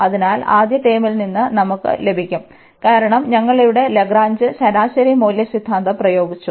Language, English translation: Malayalam, So, we will get from the first term, because we have applied the Lagrange mean value theorem here